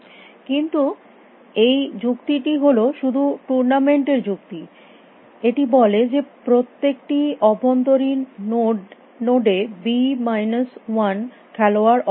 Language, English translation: Bengali, But this is this argument is just a tournament argument it says that in every internal node b minus 1 players are eliminated